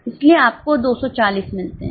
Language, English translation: Hindi, So, you get 240